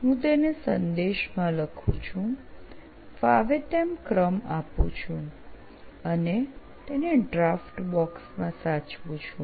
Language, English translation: Gujarati, I just write it in the message; I put a number, random number and save it in that draft box